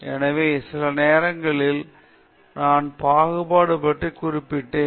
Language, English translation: Tamil, So, sometime back I mentioned about discrimination